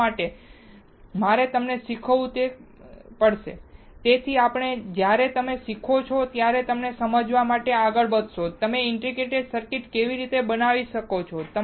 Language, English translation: Gujarati, Why, I have to teach you that, so that when you learn that, you will be you will moving forward to understand how you can fabricate integrated circuit